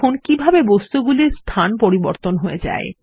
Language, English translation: Bengali, See how the placements of the figures change